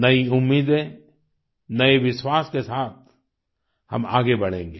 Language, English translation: Hindi, With new hopes and faith, we will move forward